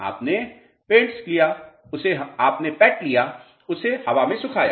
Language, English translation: Hindi, You took the pat, dried it in air